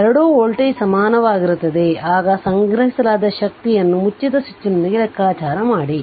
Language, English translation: Kannada, So, both voltage will be equal now we compute the stored energy with the switch closed